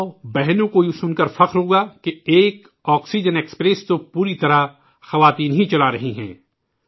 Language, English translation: Urdu, Mothers and sisters would be proud to hear that one oxygen express is being run fully by women